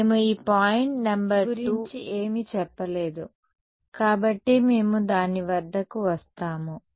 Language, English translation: Telugu, So, far we have not said anything about this point number 2 ok, so, we will come to it